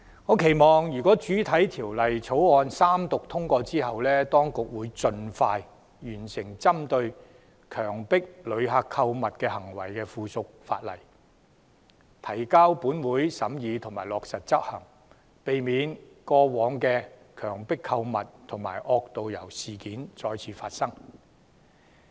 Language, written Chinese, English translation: Cantonese, 我期望《條例草案》獲三讀通過後，當局會盡快完成針對強迫旅客購物行為的附屬法例，提交本會審議及落實執行，避免過往的強迫購物及惡導遊事件再次發生。, My hope is that after the Bill is read the Third time and passed the authorities will expeditiously complete the drafting of the subsidiary legislation against coerced shopping and table it to the Council for scrutiny and implementation so as to prevent the recurrence of incidents involving coerced shopping and rogue tourist guides